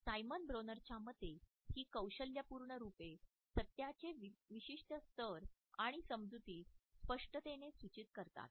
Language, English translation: Marathi, In the opinion of Simon Bronner, these tactual metaphors suggest is certain level of truth and a clarity of perception